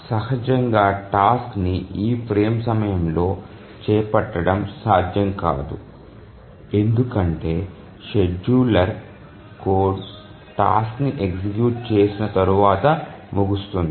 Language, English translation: Telugu, Obviously the task cannot be taken up during this frame because if you remember the scheduler code that it just executes the task and then the scheduler ends